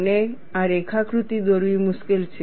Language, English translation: Gujarati, And this picture is easier to draw